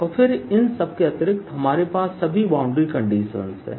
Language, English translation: Hindi, and then i add to all this the boundary conditions